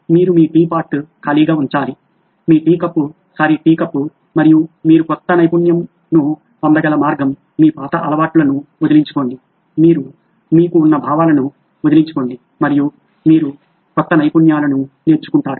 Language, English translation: Telugu, You have to throw away empty your tea pot your tea cup sorry tea cup and that is the way you can get new knowledge, get rid of your old habits, get rid of your whatever you are clinging onto and that is how you learn new skills